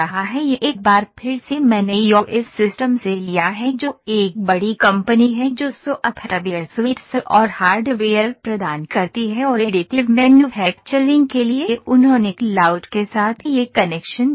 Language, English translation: Hindi, This is an a again I have taken from the EOS systems which is a big company that manufacture or provide the software suites and the hardware for additive manufacturing they have given this connection with the cloud